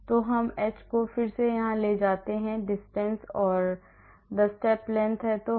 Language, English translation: Hindi, So, we take the h here again h is the distance or the step length